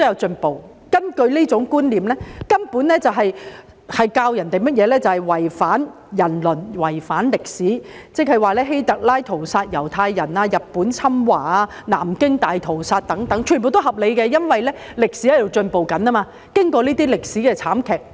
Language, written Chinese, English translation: Cantonese, 這種觀念根本在灌輸違反人倫、違反歷史的思想，換言之希特拉屠殺猶太人、日本侵華、南京大屠殺等全皆合理，因為經過這些慘劇和悲劇之後，歷史正在進步。, Such a concept is nothing but an attempt to instill ideas that go against the principle of human relations and distort historical facts . In other words historical incidents like the massacre of Jews masterminded by HITLER Japanese invasion of China the Nanjing Massacre etc . can all be justified because despite all history has progressed after these tragedies